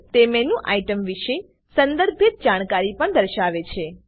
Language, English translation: Gujarati, It also displays contextual information about menu items